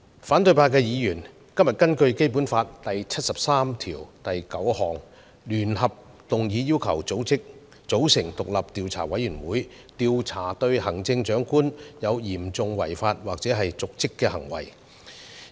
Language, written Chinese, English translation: Cantonese, 反對派議員今天根據《基本法》第七十三條第九項聯合動議議案，要求組成獨立調查委員會，調查對行政長官有嚴重違法或瀆職行為的指控。, Opposition Members today move a joint motion under Article 739 of the Basic Law to request the formation of an independent investigation committee to investigate the alleged serious breaches of law and dereliction of duty charged against the Chief Executive